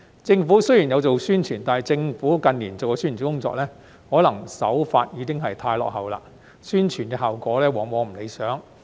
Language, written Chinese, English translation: Cantonese, 政府雖然有做宣傳，但近年的政府宣傳工作，可能手法已經太落後，宣傳效果往往不理想。, Despite the Governments publicity efforts such efforts often failed to yield satisfactory results in recent years probably due to its outdated approach